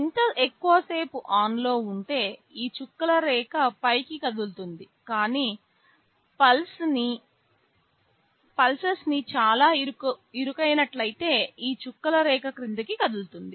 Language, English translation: Telugu, More the on period this dotted line will be moving up, but if the pulses are very narrow then this dotted line will move down